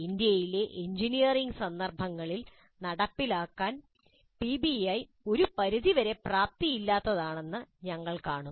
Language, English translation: Malayalam, We will see that the PBI is somewhat inefficient to implement in the engineering context in India